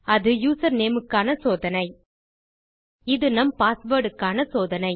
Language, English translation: Tamil, Thats checking our username there and this is checking our password